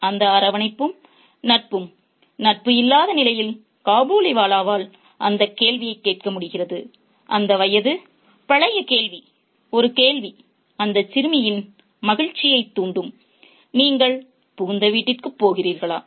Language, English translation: Tamil, So, in that absence, in that absence of warmth and cordiality and friendship, the Kabaliwala ends up asking that question, that age old question, a question that used to provoke mirth in that little girl, are you going to the in law's house